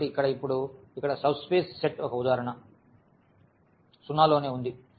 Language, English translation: Telugu, So, here is a examples now of the subspaces here the set 0 itself